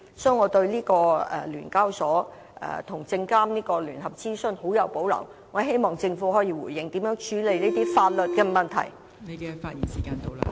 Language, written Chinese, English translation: Cantonese, 所以，我對聯交所和證監會聯合資詢的建議極有保留，希望政府可以回應相關的法律問題。, Therefore I have strong reservations about the recommendations in the joint consultation documents of SEHK and SFC . I hope the Government can respond to the relevant legal issues